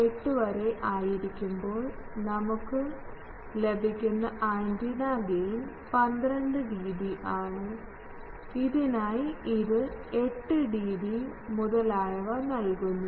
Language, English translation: Malayalam, Suppose this one gives you the, this antenna gives you a gain of 12 dB and for this it gives a gain of 8 dB etc